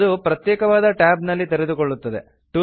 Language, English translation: Kannada, It opens in a separate tab